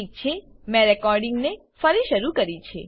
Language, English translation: Gujarati, Ok, I have resumed recording